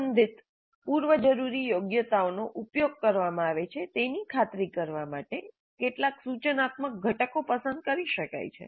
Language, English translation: Gujarati, Several instructional components can be picked up to ensure that the relevant prerequisite competencies are invoked